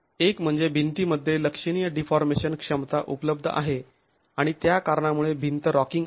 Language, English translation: Marathi, One is that significant deformation capacity is available in the wall